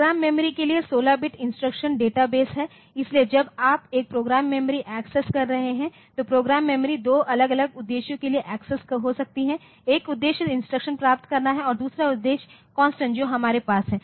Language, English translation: Hindi, Database for 16 bit instruction database for program memory; So, when you are accessing a program memory so, program memory may be access for two different purposes, one purpose is to get the instruction and another purpose is something so, that the constants that we have